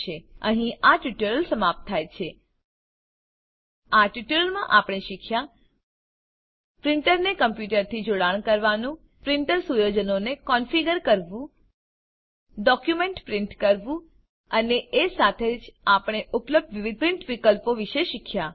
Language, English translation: Gujarati, In this tutorial, we learnt to Connect a printer to a computer Configure the printer settings Print a document And we also learnt about the various print options available